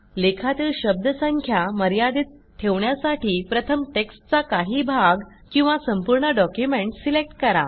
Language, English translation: Marathi, For maintaining a word count in your article, first select a portion of your text or the entire document